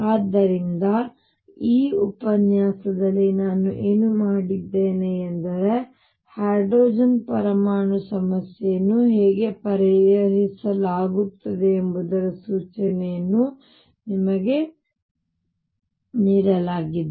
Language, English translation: Kannada, So, what I have done in this lecture is given to you an indication has to how hydrogen atom problem is solved